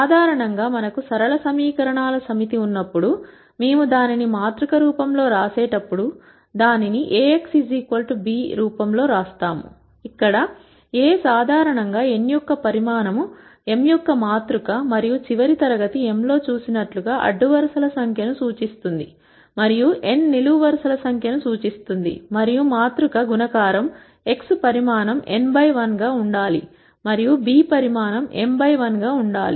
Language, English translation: Telugu, In general when we have a set of linear equations, when we write it in the matrix form, we write this in the form Ax equal to b where A is generally a matrix of size m by n, and as we saw in the last class m would represent the number of rows and n would represent the number of columns, and for matrix multiplication to work, x has to be of size n by 1 and b has to be of size m by 1